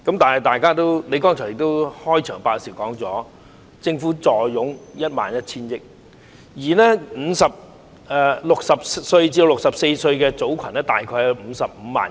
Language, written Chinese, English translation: Cantonese, 但是，你剛才在開場發言時說政府坐擁 11,000 億元，而60歲至64歲的組群大概有55萬人。, However just now you said in your opening remarks that the Government has a huge fiscal reserve of 1.1 trillion and there are about 550 000 people in the age group of 60 to 64 years old